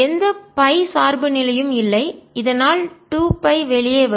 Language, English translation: Tamil, there is no phi dependence, so two pi will come out